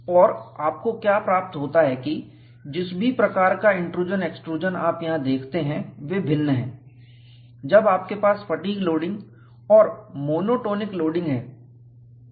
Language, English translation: Hindi, And what you find is, the type of the intrusion, extrusion, whatever you see here, they are different, when you have fatigue loading and when you have monotonic loading